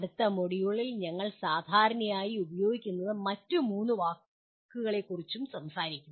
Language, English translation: Malayalam, We will also be talking about three other words that we normally use in the next module